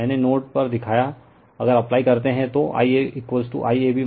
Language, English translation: Hindi, I showed you at node A if you apply I a will be I AB minus I CA